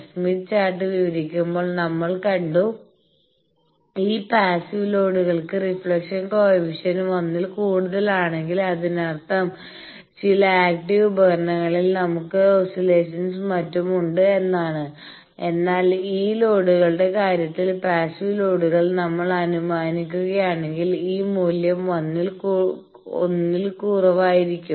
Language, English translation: Malayalam, We have seen while describing smith chart that if this reflection coefficient becomes greater than 1; that means, we have active some devices present oscillations present etcetera, but in case of this loads, if we assume passive loads then this value is much less than 1